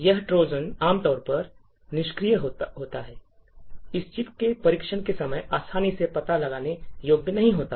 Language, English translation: Hindi, This Trojan will be typically dormant and not easily detectable during the testing time of this particular chip